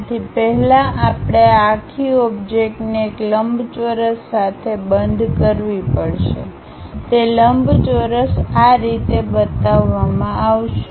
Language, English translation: Gujarati, So, first we have to enclose this entire object in a rectangle, that rectangle is shown in in this way